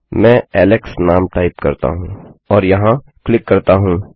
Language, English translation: Hindi, Let me type the name Alex and click here.You can see this is changed here